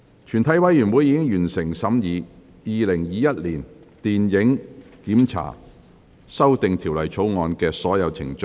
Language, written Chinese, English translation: Cantonese, 全體委員會已完成審議《2021年電影檢查條例草案》的所有程序。, All the proceedings on the Film Censorship Amendment Bill 2021 have been concluded in committee of the whole Council